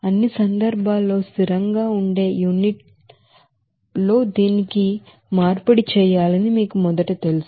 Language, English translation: Telugu, So you have to first you know convert this you know in unit which will be consistent in all cases